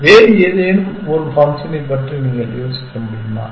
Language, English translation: Tamil, Can you think of any other heuristic function